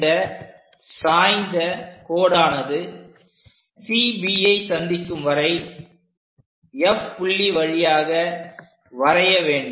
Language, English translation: Tamil, So, through F point, draw a line at 45 degrees to meet CB